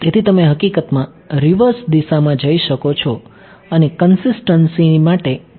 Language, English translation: Gujarati, So, you can in fact, go in the reverse direction and ask consistency